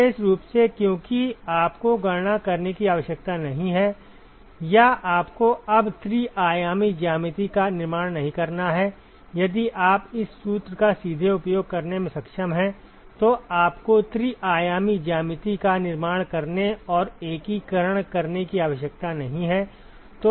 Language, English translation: Hindi, Particularly because you do not have to calculate or you do not have to construct the three dimensional geometry anymore, if you are able to use this formula straightaway, you do not have to construct the three dimensional geometry and do the integration